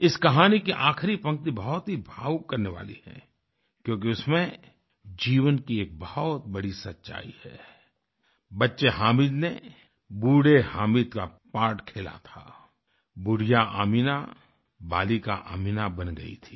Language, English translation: Hindi, The concluding line of this story makes one very emotional since it holds a vital truth about life, "Young Hamid played the role of aged Hamid aged Ameena had turned into child Ameena"